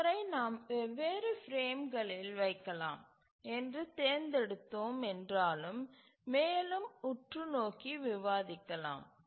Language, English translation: Tamil, So, then once having chosen that we can place these in the different frames but let's look at more insights into how to do that